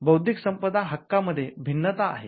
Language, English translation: Marathi, What is an intellectual property